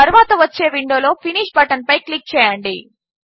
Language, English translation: Telugu, Click on the Finish button in the following window